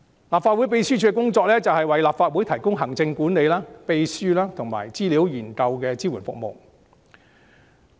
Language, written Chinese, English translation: Cantonese, 立法會秘書處的工作是為立法會提供行政管理、秘書及資料研究支援等服務。, The work of the Legislative Council Secretariat is to provide administrative secretariat and research support etc for the Legislative Council